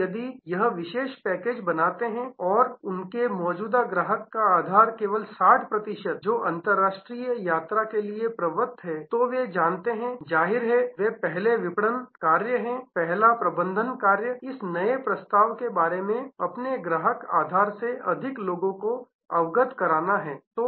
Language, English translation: Hindi, Now, if the create this special package and only 60 percent of their current customer base, who are prone to international travel are aware then; obviously, they are first marketing task first management task is to make more people from their customer base aware about aware of this new offering